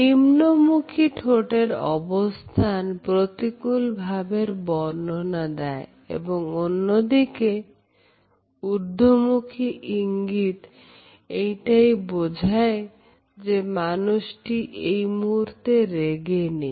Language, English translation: Bengali, The downward slant of lips etcetera suggests negative emotions and the upward tilt suggests that the person is not angry